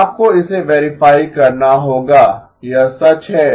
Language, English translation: Hindi, You have to verify that this is true